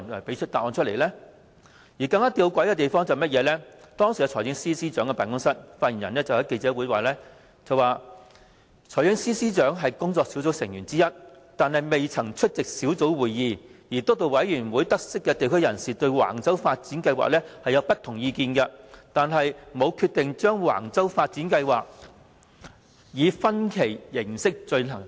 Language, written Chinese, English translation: Cantonese, 更吊詭的是，當時財政司司長辦公室的發言人在記者會當晚發表回應，指財政司司長是工作小組成員之一，但未曾出席工作小組會議；而督導委員會得悉地區人士對橫洲房屋發展計劃有不同意見，但沒有決定把橫洲房屋發展計劃以分期形式進行。, More intrigue still in the evening after the press conference was held a spokesperson for the Financial Secretarys Office made a response pointing out that the Financial Secretary though being a member of the Task Force had never attended its meetings and while the Steering Committee was aware of the different opinions of members of local communities regarding the Wang Chau Housing Development Plan it had not decided to develop the project in phases